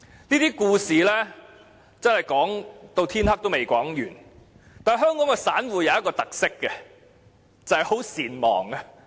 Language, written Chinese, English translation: Cantonese, 這些故事不停上演，但香港的散戶有一個特色，就是善忘。, There have been just too many of such stories around but small investors in Hong Kong are often forgetful